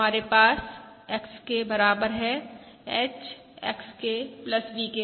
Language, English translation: Hindi, We have our YK equals H, XK plus VK